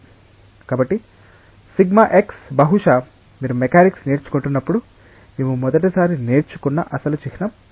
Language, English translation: Telugu, So, sigma x perhaps this is the original symbol that we learnt for the first time when you were learning the mechanics